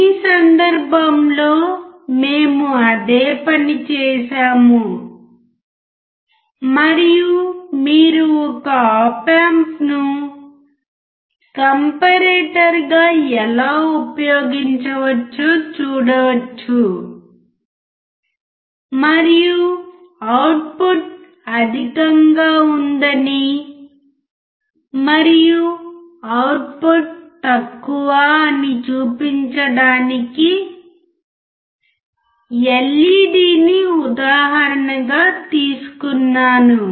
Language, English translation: Telugu, In this case we have done the same thing and we could see how an op amp can be used as a comparator and the LED was taken as an example to show that output is high and output is low alright